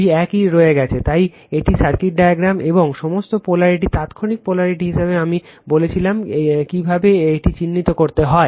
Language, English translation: Bengali, Race 2 remains same, so this is the circuit diagram and all polarity as instantaneous polarity I told you how to mark it